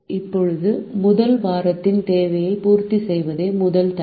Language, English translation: Tamil, the first constraint to satisfy the demand of the first week